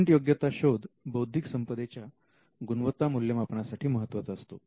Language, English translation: Marathi, Now, the patent research actually acts as a measure to check the quality of the IP